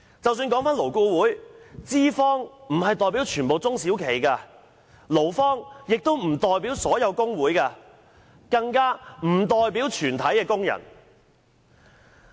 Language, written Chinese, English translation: Cantonese, 在勞顧會的架構下，資方並不代表全部中小企，勞方亦不代表所有工會，更不代表全體工人。, Under the LAB structure employers do not represent all small and medium enterprises and employees do not represent all trade unions or all workers